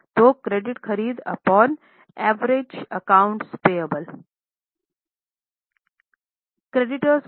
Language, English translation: Hindi, So, credit purchase upon average accounts payable